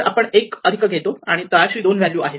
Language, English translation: Marathi, So, we take one plus the value two is bottom